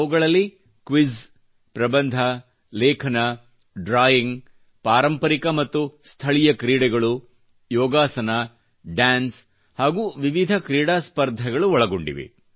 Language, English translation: Kannada, This includes quiz, essays, articles, paintings, traditional and local sports, yogasana, dance,sports and games competitions